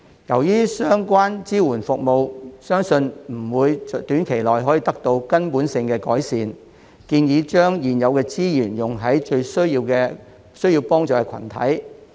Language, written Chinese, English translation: Cantonese, 由於相關支援服務相信不會短期內可以得到根本性的改善，我建議把現有資源用在最需要幫助的群體。, Since it is believed that the relevant support services will not be fundamentally improved in the short term I suggest that existing resources should be used on the group most in need